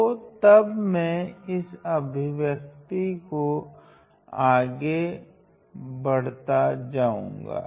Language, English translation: Hindi, So, then let us continue solving this